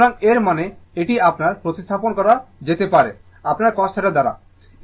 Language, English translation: Bengali, So, this one that means, this one can be replaced your, this one can be replaced by your cos theta